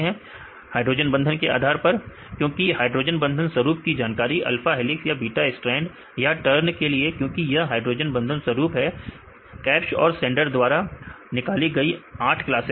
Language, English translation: Hindi, Based on hydrogen bonding patterns right because the hydrogen bonding patterns are known, for the alpha helices or the beta strand or turns right, because this is hydrogen boding patterns right, Kabsch and Sander derived 8 classes